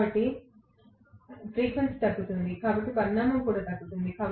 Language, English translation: Telugu, So, the frequency will decline, so the magnitude will also decline